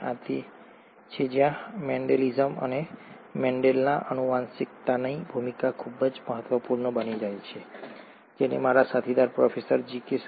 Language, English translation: Gujarati, And this is where the role of Mendelism and Mendel’s genetics becomes very important, which will be covered by my colleague, Professor G